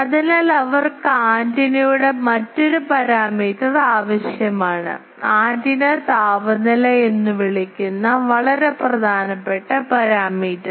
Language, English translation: Malayalam, So, they need to have another parameter of antenna, very important parameter that is called antenna temperature